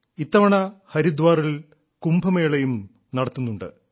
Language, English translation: Malayalam, This time, in Haridwar, KUMBH too is being held